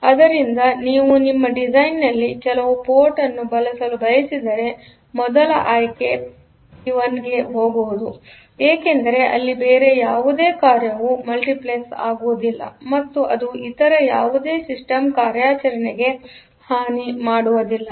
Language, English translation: Kannada, So, if in your design if you want to use some port, the first option is to go for the port P 1 because it here no other function will be multiplexed; so, it should not harm any other system operation